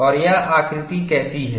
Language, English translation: Hindi, And how does this look like